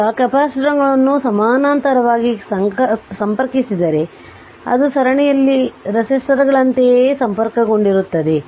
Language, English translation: Kannada, So, note that capacitors in parallel combining the same manner as resistor in series